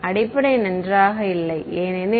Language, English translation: Tamil, The basic very well did not because